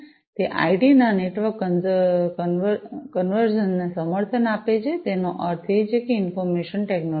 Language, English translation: Gujarati, It supports network convergence of IT; that means the Information Technology